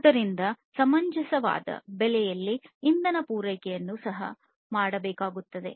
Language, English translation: Kannada, So, it is required to have energy supply also at reasonable price